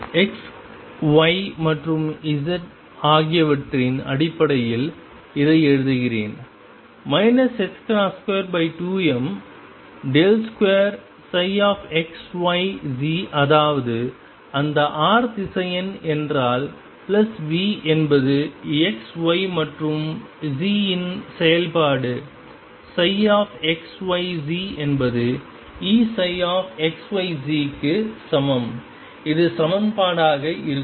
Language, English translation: Tamil, Let me write it in terms of x y and z also minus h cross square over 2 m del squared psi of x y and z that is what that r vector means plus v as the function of x y and z psi x y and z is equal to E psi x y and z, this is going to be the equation